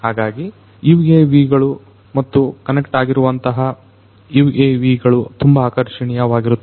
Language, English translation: Kannada, So, UAVs and the connected UAVs are very attractive